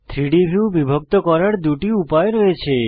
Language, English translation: Bengali, There are two ways to divide the 3D view